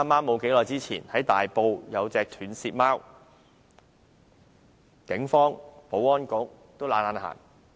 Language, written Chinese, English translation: Cantonese, 不久前，在大埔發現一隻斷舌貓，警方和保安局均懶得理會。, Not long ago a kitten with a badly damaged tongue was discovered in Tai Po . Neither the Police nor the Security Bureau bothered to take action